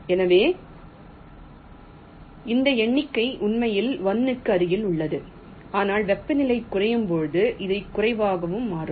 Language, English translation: Tamil, this number is actually goes to one, but as temperature decreases this will become less and less